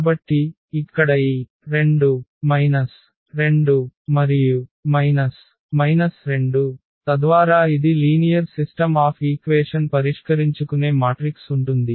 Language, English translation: Telugu, So, here this 2 minus 2 and minus 2, so that will be the matrix there which we want to solve as the system of linear equations